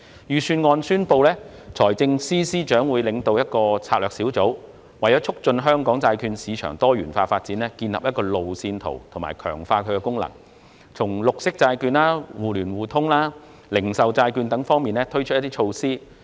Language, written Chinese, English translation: Cantonese, 財政司司長在預算案中宣布，他會領導一個策略小組，為促進香港債券市場的多元化發展建立路線圖，並強化債券市場的功能，亦會就綠色債券、互聯互通及零售債券等方面推出措施。, FS has announced in the Budget that he will lead a steering group to formulate a roadmap for promoting the diversified development of Hong Kongs bond market and reinforcing its functions . He will also introduce measures in areas such as green bonds mutual market access and retail bonds